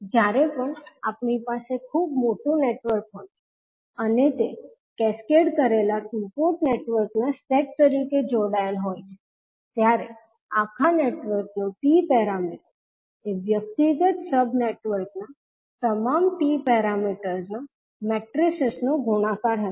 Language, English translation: Gujarati, So whenever we have very large network and it is connected as a set of cascaded two port networks, the T parameter of overall network would be the multiplication of all the T parameters matrices of individual sub networks